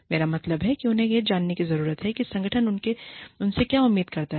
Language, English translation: Hindi, I mean, they need to know, what the organization, expects from them